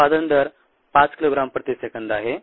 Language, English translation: Marathi, rate of output is five kilogram per second